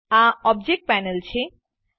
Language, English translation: Gujarati, This is the Object Panel